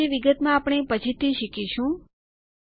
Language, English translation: Gujarati, We will learn about these later